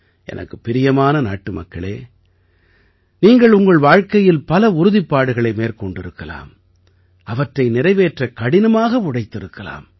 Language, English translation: Tamil, My dear countrymen, you must be taking many resolves in your life, and be you must be working hard to fulfill them